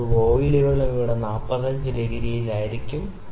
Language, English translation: Malayalam, Sometimes the voiles are also at 45 degree here